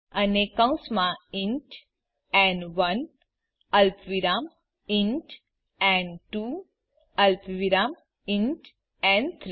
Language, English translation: Gujarati, AndWithin parentheses int n1 comma int n2 comma int n3